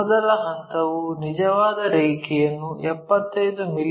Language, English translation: Kannada, The first step is identify true line 75 mm